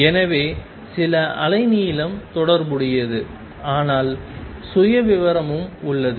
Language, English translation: Tamil, So, there is some wavelength associated, but there is also profile